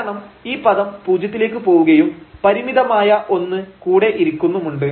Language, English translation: Malayalam, Because this term will go to 0 and something bound it is sitting here